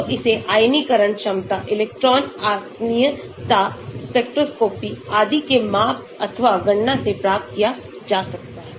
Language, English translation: Hindi, so it can be obtained from measured or calculated from ionization potentials, electron affinity, spectroscopy and so on